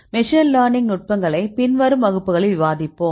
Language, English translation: Tamil, We will discuss the machine learning techniques may be in the later classes